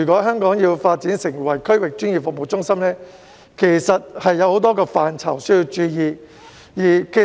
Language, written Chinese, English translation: Cantonese, 香港若要發展成為區域專業服務中心，有多個範疇需要注意。, For Hong Kong to develop into a regional professional services hub there are a number of areas requiring attention